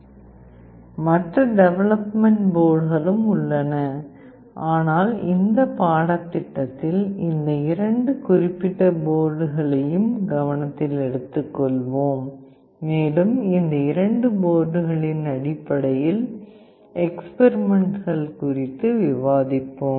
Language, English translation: Tamil, There are other development boards as well, but in this course we will be taking the opportunity to take these two specific boards into consideration and we will be discussing the experiments based on these two boards